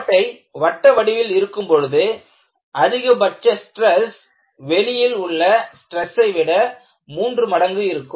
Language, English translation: Tamil, And, you find, when you have a circular hole, the maximum stress is three times the far field stress